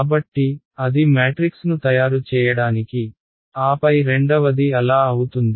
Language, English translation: Telugu, So, that is the cost of making the matrix a then there is the second is the cost of